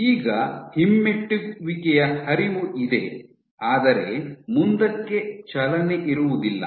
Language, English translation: Kannada, So, you will have retrograde flow, but no forward movement